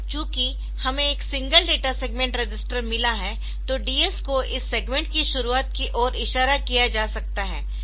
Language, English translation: Hindi, Now, since we have got a single data segment register so DS may be made to point to the beginning of this segment